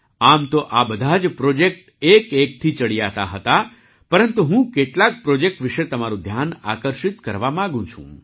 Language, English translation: Gujarati, Although all these projects were one better than the other, I want to draw your attention to some projects